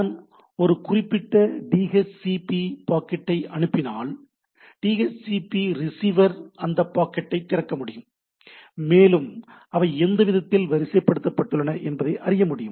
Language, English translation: Tamil, Like I say if I send a particular a DHCP packet, the DHCP receiver can basically open the packet and it knows that these are the way it is sequenced